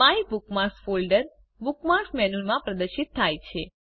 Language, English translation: Gujarati, The MyBookMarks folder is displayed in the Bookmarks menu